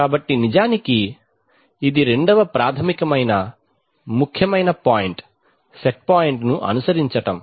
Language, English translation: Telugu, So basic, so this is a second basic important point follow the set point